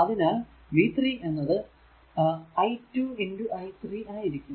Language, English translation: Malayalam, So, v 3 actually is equal to 12 i 3